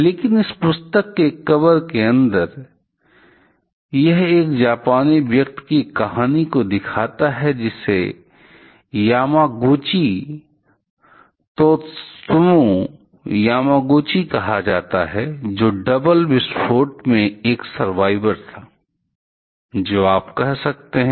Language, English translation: Hindi, But the inside the cover of this book, it illustrates the story of one Japanese person called Yamaguchi Tsutomu Yamaguchi; who was one of the double explosion survivor, what you can say